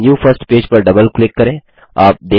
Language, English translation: Hindi, Now double click on the new first page